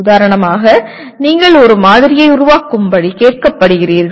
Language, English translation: Tamil, For example you are asked to create a model